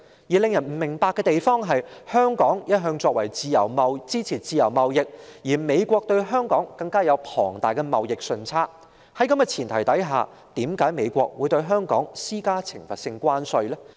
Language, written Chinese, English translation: Cantonese, 然而，令人不解的是，香港一向支持自由貿易，而美國對香港更有龐大的貿易順差，在這前提下，為何美國會對香港施加懲罰性關稅呢？, Yet given Hong Kongs constant support of free trade and the United States tremendous trade surplus against Hong Kong it is baffling that the United States should impose penalty tariffs on Hong Kong